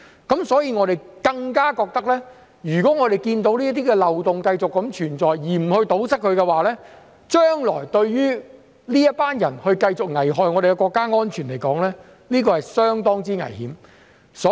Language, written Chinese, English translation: Cantonese, 我們更加覺得，如果我們看到這些漏洞，讓它們繼續存在而不予堵塞，讓這群人將來繼續危害國家安全，是相當危險的。, We all the more feel that it would be rather perilous if we see these loopholes but allow them to persist without plugging them and allow such people to continue to jeopardize national security in the future